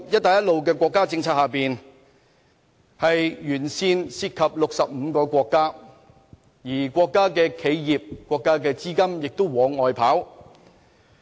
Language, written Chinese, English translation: Cantonese, 大家都知道在"一帶一路"沿線涉及65個國家，而這些國家企業、國家資金都會往外跑。, We all know that there are 65 countries along the Belt and Road route and these national enterprises together with their capital will flow outward